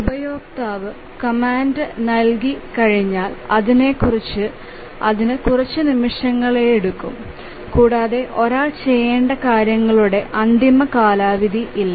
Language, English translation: Malayalam, Once the user gives the command it may take several seconds and there is no hard deadline by which it needs to do it